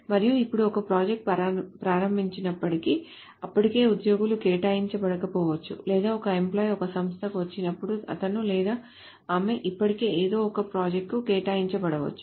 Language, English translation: Telugu, And now it may not be that whenever a project is open, there are employees already assigned, or it may not be that when an employee comes to an organization, he or she is already assigned to some projects